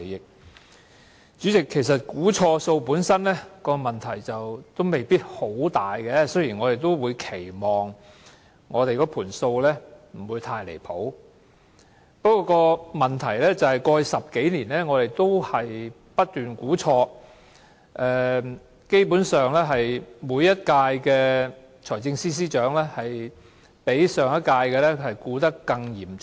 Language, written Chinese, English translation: Cantonese, 代理主席，其實錯估盈餘本身問題不一定很大，雖然我們也期望數字不會相差太遠，不過問題是過去10多年來，政府不斷錯估盈餘，基本上歷任財政司司長的估算均較上一任的估算錯得更嚴重。, Deputy Chairman inaccurate estimation of surplus is not necessarily a big problem per se though we expect that the number would not be too far off . The problem is that for more than 10 years the Government has never stopped making inaccurate estimations of surplus . Basically all Financial Secretaries would make more inaccurate estimations than their predecessors